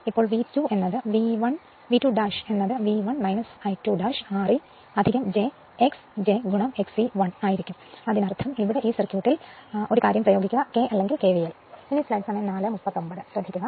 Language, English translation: Malayalam, Now, V 2 dash will be V 1 minus I 2 dash R e plus j X your j into X e 1; that means, here in this circuit what you call you apply here in this circuit you apply your this thing, k or KVL right